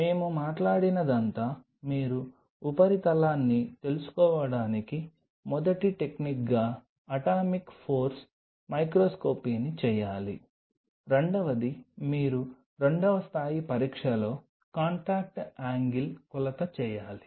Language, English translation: Telugu, What all we talked about we talked about that you have to do an atomic force microscopy as first technique to know the surface, second you have to do a contact angle measurement at the second level of test